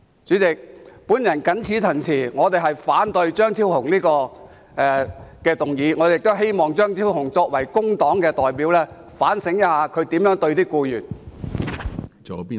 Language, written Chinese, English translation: Cantonese, 主席，我謹此陳辭，反對張超雄議員的議案，而我亦希望張超雄議員作為工黨的代表，應該反省一下他如何對待僱員。, With these remarks President I disapprove of Dr Fernando CHEUNGs motion . I also hope that Dr Fernando CHEUNG being the representative of the Labour Party could do some introspection on how he treats the employees